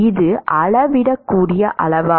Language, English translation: Tamil, Is it a measurable quantity